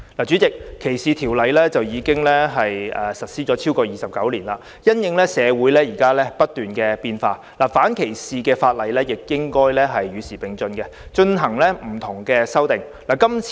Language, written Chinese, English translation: Cantonese, 主席，反歧視條例在本港已實施29年，因應社會不斷變化，反歧視條例亦應與時並進作出修訂。, President anti - discrimination ordinances have come into force in Hong Kong for 29 years . In the light of the continuous changes in our society anti - discrimination ordinances should also be amended to keep up with the times